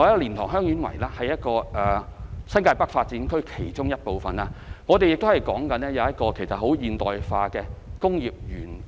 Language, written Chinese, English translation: Cantonese, 蓮塘/香園圍是新界北發展區其中一部分，將用作發展現代化工業園。, It is planned that the LiantangHeung Yuen Wai area which forms part of the NTN development will be constructed into a modern industrial park